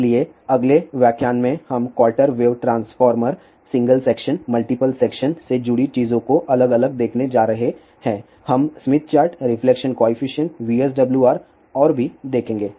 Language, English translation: Hindi, So, in the next lecture we are going to look at varies things related to quarter wave transformer, single section, multiple section We will also look at smith chart, reflection coefficient, VSWR and so on